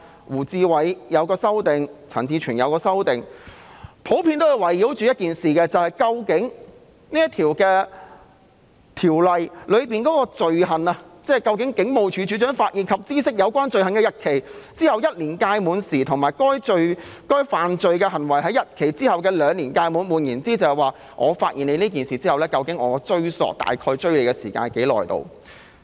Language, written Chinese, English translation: Cantonese, 胡志偉議員和陳志全議員也提出了修正案，內容普遍是圍繞《條例草案》中"警務處處長發現或知悉有關罪行的日期之後1年屆滿時"及"犯該罪行的日期之後2年屆滿時"，即發現有關罪行後的追溯期大約有多長。, The amendments proposed by Mr WU Chi - wai and Mr CHAN Chi - chuen mainly concern the phrases the end of the period of 1 year after the date on which the offence is discovered by or comes to the notice of the Commissioner of Police and the end of the period of 2 years after the date on which the offence is committed that is the length of the retrospective period upon the discovery of the offence